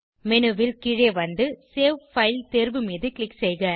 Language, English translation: Tamil, Scroll down the menu and click on save file option